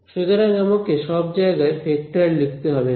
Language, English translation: Bengali, So, I do not have to keep writing vector; vector everywhere